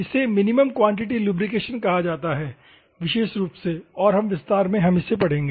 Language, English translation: Hindi, This is called minimum quantity lubrication, in particular, and in expansion way we will see